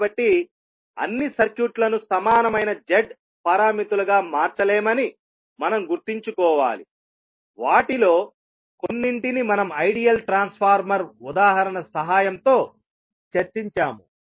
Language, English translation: Telugu, So, we have to keep in mind that not all circuits can be converted into the equivalent Z parameters to a few of them are like we discussed with the help of ideal transformer example